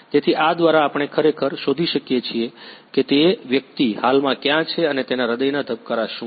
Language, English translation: Gujarati, So, through this we can actually detect where the person is right now and what is his heart beat